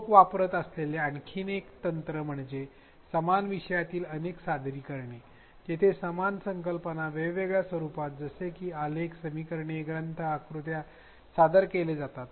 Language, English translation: Marathi, Another technique that people use is multiple representations in stem disciplines where the same concept is presented in different formats such as graphs, equations, texts, diagrams